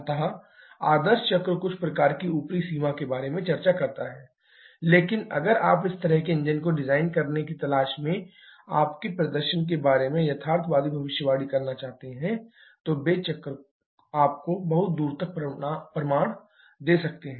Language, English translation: Hindi, So, while the ideal cycle state of some kind of upper limit of operation but if you are looking to get a realistic prediction about the performance of you looking to design such an engine then those cycle can give you far of results